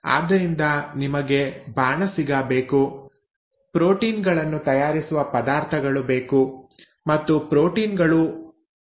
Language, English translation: Kannada, So you need the chef, you also need the ingredients with which the proteins are made and proteins are made up of amino acids